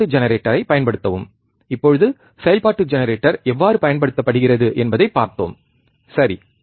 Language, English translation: Tamil, Use function generator, now function generator we have seen how function generator is used, right